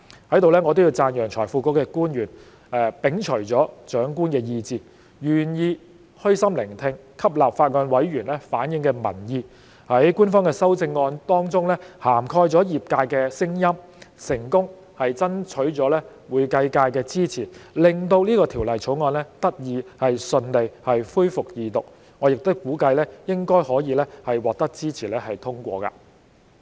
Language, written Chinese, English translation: Cantonese, 在此，我亦要讚揚財庫局的官員，他們摒除了長官意志，願意虛心聆聽，吸納法案委員會委員反映的民意，在官方的修正案當中涵蓋了業界的聲音，成功爭取會計界的支持，令這項《條例草案》得以順利恢復二讀辯論，我亦估計應該可以獲支持通過。, Here I would also like to commend the officials of FSTB for disregarding the wishes of senior officials as well as their willingness to listen to and take on board with an open mind the public opinions reflected by members of the Bills Committee . By incorporating the voices of the profession in the amendments proposed by the Administration they have successfully gained the support of the accounting profession such that the Second Reading debate on the Bill can be resumed smoothly . And I expect that it will be passed with our support